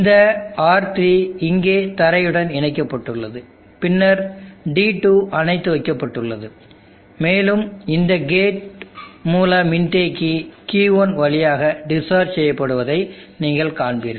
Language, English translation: Tamil, And this R3 is connected to the ground here and then D2 is off and you will see this capacitor gate source capacitor will discharge through Q1 in this fashion